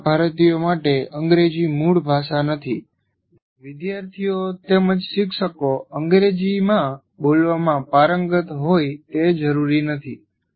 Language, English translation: Gujarati, And English not being our language, the native language for most Indians, students as well as teachers are not necessarily fluent communicating in English